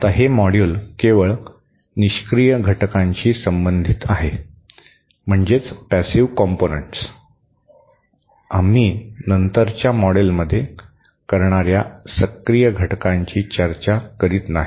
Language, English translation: Marathi, Now, this module deals only with passive components, we are not discussing the active components which we shall do it later models